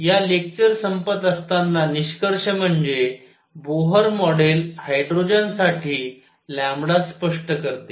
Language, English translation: Marathi, So, to conclude this lecture, Bohr model explains lambda for hydrogen